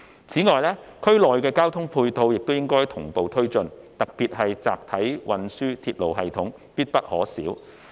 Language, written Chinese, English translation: Cantonese, 此外，政府應同步推進區內的交通配套，特別是集體運輸鐵路系統必不可少。, Besides the Government should develop transport infrastructure in the region in parallel . In particular a mass transit railway system is indispensable